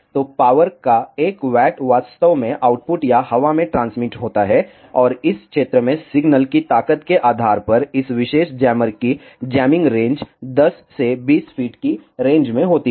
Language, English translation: Hindi, So, one watt of power is actually outputted or transmitted in air, and the jamming range of this particular jammer is in 10 to 20 feet range depending on the signal strength in that area